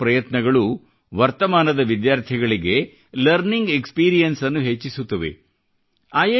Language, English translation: Kannada, All of these endeavors improve the learning experience of the current students